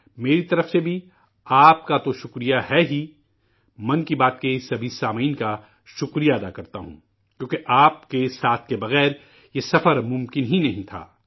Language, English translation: Urdu, From my side, it's of course THANKS to you; I also express thanks to all the listeners of Mann ki Baat, since this journey just wouldn't have been possible without your support